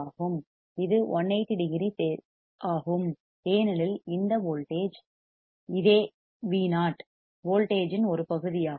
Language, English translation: Tamil, This is 180 degree phase because these same voltage, which is V o right, a part of the voltage